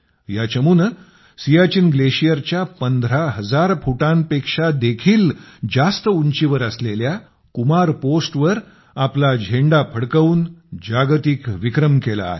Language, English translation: Marathi, This team created a world record by hoisting its flag on the Kumar Post situated at an altitude of more than 15 thousand feet at the Siachen glacier